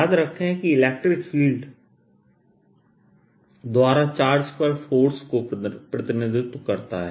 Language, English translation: Hindi, remember, in electric field represented force on a charge by the field